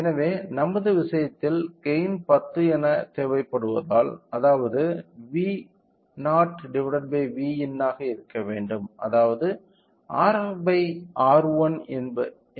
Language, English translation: Tamil, So, since in our case we require to have a gain of 10; so, that means, V naught by V in should be 10 so, which means that R f by R 1 should be 10